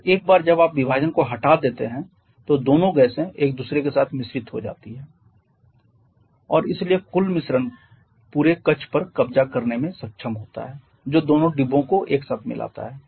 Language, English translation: Hindi, And what is your remove the partition both the gases are mixed with each other and therefore the total mixture is able to occupy the entire chamber that is both the compartment together